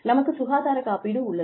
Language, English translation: Tamil, And, we have health insurance